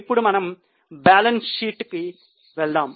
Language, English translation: Telugu, Now we'll go for the balance sheet